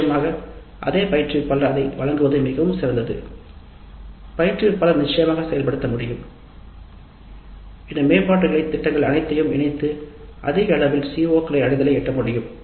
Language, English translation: Tamil, Of course if the same instructor is offering it is all the more great the instructor can definitely implement incorporate all these improvement plans and achieve higher levels of CO attainment